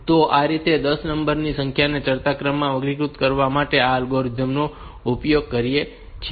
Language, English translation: Gujarati, So, this way we do this algorithm of sorting 10 numbers in ascending order